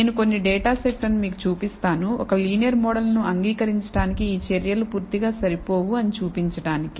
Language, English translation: Telugu, I will show you some data set which shows that that these measures are not completely sufficient to accept a linear model